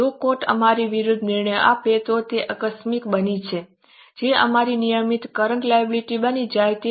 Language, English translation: Gujarati, If court gives decision against us, it becomes a contingent, it becomes our regular current liability